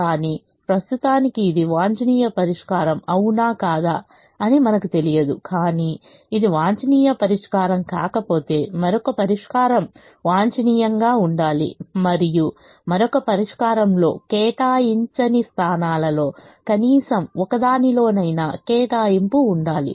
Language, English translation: Telugu, but if this is not the optimum solution, then some other solution has to be optimum and that some other solution should have an allocation in at least one of the un allocated positions